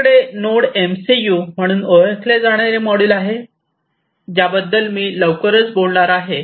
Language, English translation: Marathi, And we have something known as the Node MCU which I am going to talk about shortly this is this Node MCU, this is this Node MCU